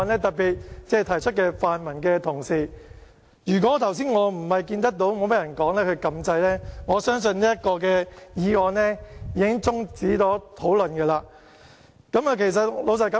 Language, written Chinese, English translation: Cantonese, 特別是提出的泛民同事，如果我剛才不是看到沒有議員發言，而我按掣示意想發言的話，相信這項議案已經終止辯論。, I particularly refer to pan - democratic Members who propose this motion . If I had not pressed this button to indicate my wish to speak just now when seeing that no Member was speaking I believe that the debate on this motion would have come to an end